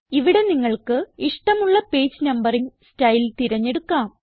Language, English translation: Malayalam, Here you can choose the page numbering style that you prefer